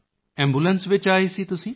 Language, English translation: Punjabi, You came in an ambulance